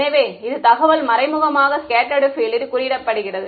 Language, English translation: Tamil, So, this information indirectly is being encoded into the scattered field